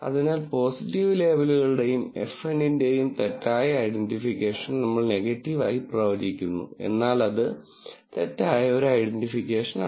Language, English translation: Malayalam, So, incorrect identification of positive labels and FN is that we predict as negative, but that is an incorrect identification